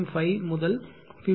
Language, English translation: Tamil, 5 to 50